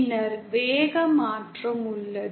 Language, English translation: Tamil, Then, there is a speed change